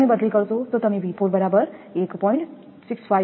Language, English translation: Gujarati, If you substitute you will get V 4 is equal to 1